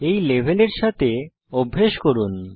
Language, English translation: Bengali, Practice with this level